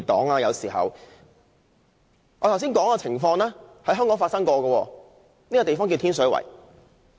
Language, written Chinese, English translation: Cantonese, 我剛才說的情況，在香港確曾出現，而這個地方便是天水圍。, The above mentioned situation actually happened in Hong Kong and the place is Tin Shui Wai